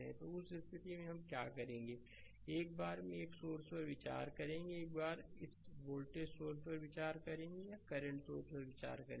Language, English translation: Hindi, So, in that case what we what will do, will consider one source at a time, once will consider this voltage source or will consider the current source right